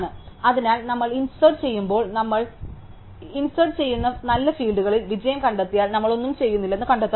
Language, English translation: Malayalam, So, when we insert we try to find if the fine fields we insert, if find the succeeds we do nothing